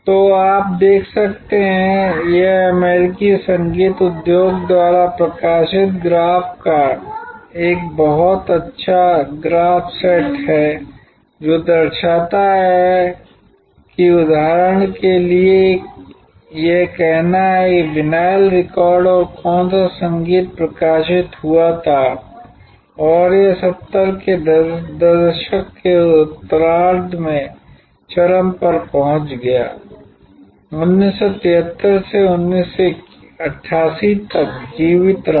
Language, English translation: Hindi, So, you can see this is a very nice graph set of graph published by the American music industry, which shows that for example, say that is vinyl records and which music was published and reached it is peak in late 70's survive from 1973 till 1988 cassettes came about and picked around the same time as this vinyl records in somewhere around 1979, but survived till about 2000